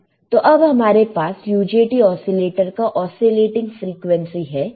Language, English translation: Hindi, So, now I have my oscillating frequency for UJT oscillator